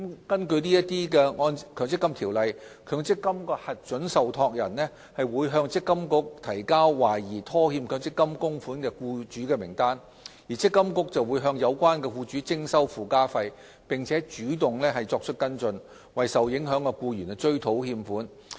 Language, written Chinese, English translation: Cantonese, 根據《強制性公積金計劃條例》，強積金的核准受託人會向積金局提交懷疑拖欠強積金供款的僱主名單，積金局會向有關僱主徵收附加費，並主動作出跟進，為受影響的僱員追討欠款。, Under the Mandatory Provident Fund Schemes Ordinance approved MPF trustees will provide MPFA with a list of employers who have allegedly defaulted on MPF contributions . MPFA would impose a surcharge on relevant employers and proactively take follow - up action to recover the contributions in arrears on behalf of the affected employees